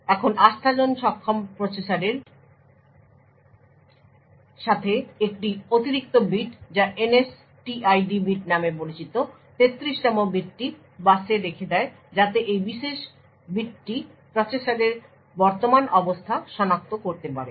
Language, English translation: Bengali, Now with Trustzone enabled processors an additional bit known as the NSTID bit the, 33rd bit put the also put out on the bus so this particular bit would identify the current state of the processor